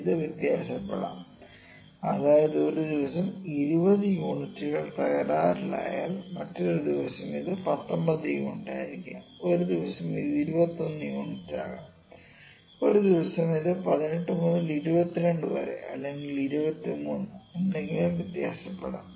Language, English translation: Malayalam, Now, it can vary from like 20 if the 20 units are produced defective in a day it can be 19 units, someday it can be 21 unit, someday it can even vary from 18 to 22 or something 23 something